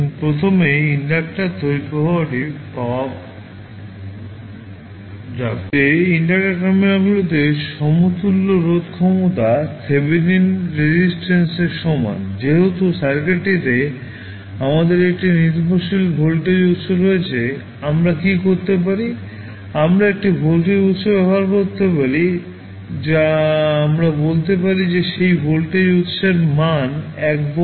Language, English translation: Bengali, Now, in first method the equivalent resistance is the same as Thevenin resistance at the inductor terminals now, since, we have a dependent voltage source available in the circuit, what we can do, we can use one voltage source that we ley say that the value of that voltage source is 1 volt